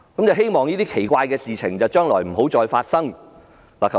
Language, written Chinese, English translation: Cantonese, 希望這些奇怪的事情將來不要再次發生。, I hope such strange things will not happen again